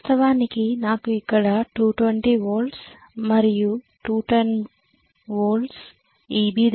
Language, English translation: Telugu, Originally maybe, I had 220 volts here and 210 volts here which is EB